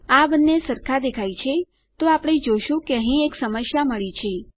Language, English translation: Gujarati, They both look the same to me, so we can see that weve got a problem here